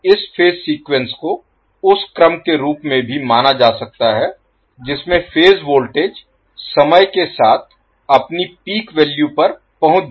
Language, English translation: Hindi, Now, this phase sequence may also be regarded as the order in which phase voltage reach their peak value with respect to time